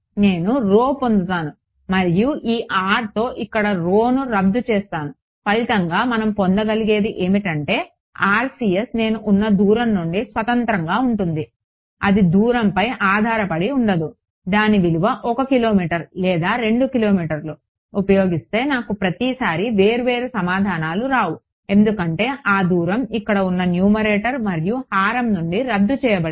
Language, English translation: Telugu, I will get rho and that rho cancels of with this r over here as a result what we will get is that the RCS is independent of the distance at which I am it does not depend, it is not that it depends on the value of it is 1 kilometer or 2 kilometer I do not get different answers each time because that distance has cancelled of from the numerator and denominator over here